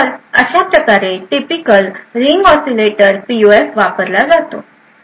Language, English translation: Marathi, So, this is how a typical Ring Oscillator PUF is used